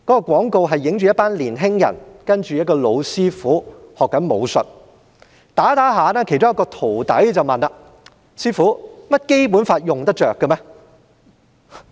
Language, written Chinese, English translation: Cantonese, 廣告的內容是一群年青人向一位老師父學習武術，在練習期間，其中一位徒弟問："師父，《基本法》用得着嗎？, The commercial depicts a group of young people learning martial arts from an old master . While they are practising one of the students asked Master is the Basic Law usable?